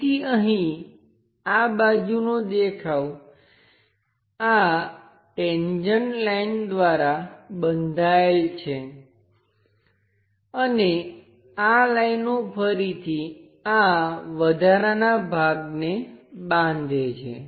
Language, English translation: Gujarati, So, here the entire side view is bounded by these tangent lines and these lines are again bounding this extra portion